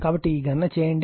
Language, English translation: Telugu, So, it just make this calculation